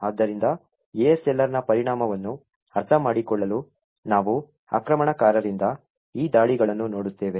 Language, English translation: Kannada, So, in order to understand the impact of ASLR, we would look at these attacks from the attackers prospective